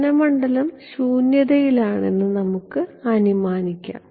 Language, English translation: Malayalam, Let us assume that the incident field is in vacuum